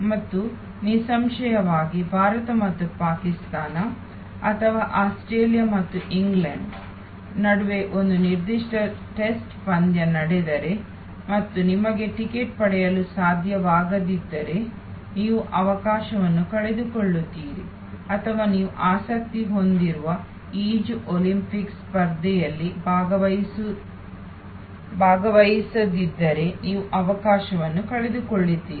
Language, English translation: Kannada, And obviously, if a particular test match happen between India and Pakistan or Australia and England and you could not get a ticket then you loss the opportunity or if you are not present during the Olympics event of swimming which you are interested in, you loss the opportunity